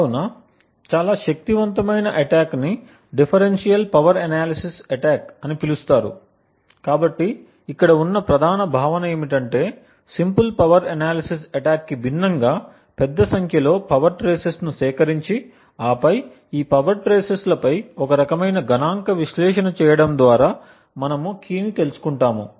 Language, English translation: Telugu, So, a much more powerful attack is known as a Differential Power Analysis attack, so the main concept over here unlike the simple power analysis attack is to collect a large number of power traces and then perform some kind of statistical analysis on these power traces from which we deduce the key